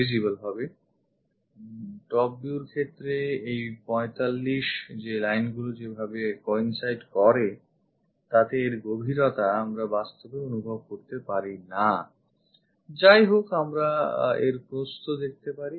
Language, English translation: Bengali, In case of top view that 45 lines coincides we cannot really sense that depth; however, we can see this width